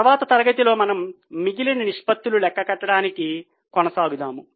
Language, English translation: Telugu, In the next session we will continue with the calculation of the remaining ratios